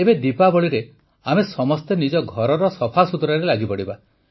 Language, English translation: Odia, Now, during Diwali, we are all about to get involved in cleaning our houses